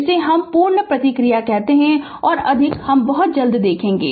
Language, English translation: Hindi, This is we call the complete response much more we will see very soon right